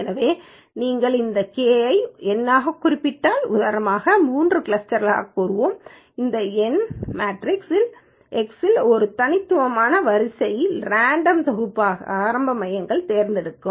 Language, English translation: Tamil, So, if you specify this K as a number, let's say three clusters, what it does is it will choose a random set of distinct rows in this numeric matrix X as the initial centers